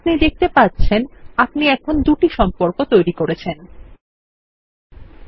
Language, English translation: Bengali, You can see that we just created two relationships